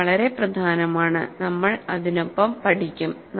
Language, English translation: Malayalam, It is very important and we will leave with it